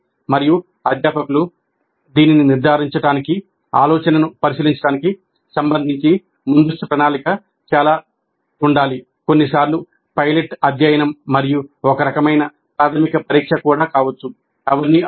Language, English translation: Telugu, And for faculty to judge this, a lot of planning upfront with respect to examining the idea, maybe sometimes even a pilot study and some kind of a preliminary test, they all may be essential